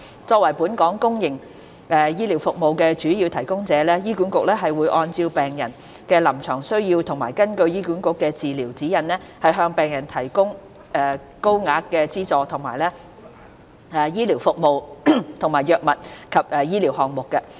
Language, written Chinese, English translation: Cantonese, 作為本港公營醫療服務的主要提供者，醫管局會按病人的臨床需要和根據醫管局的治療指引，向病人提供獲高額資助的醫療服務及藥物或醫療項目。, As the major provider of public healthcare services in Hong Kong HA provides patients with medical services and drugs as well as medical items at highly subsidized rates based on their clinical needs and in accordance with its treatment guidelines